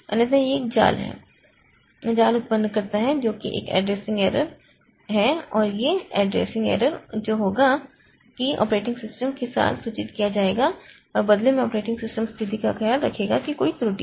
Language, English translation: Hindi, Otherwise it generates a trap which is an addressing error and this addressing error that will be that will be informed to the operating system and in turn the operating system will take care of the situation that there is an error